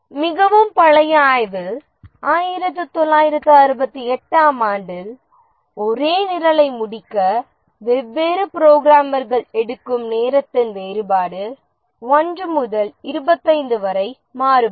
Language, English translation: Tamil, In a very old study, 1968, the difference in time taken by different programmers to code the same program is 1 is to 25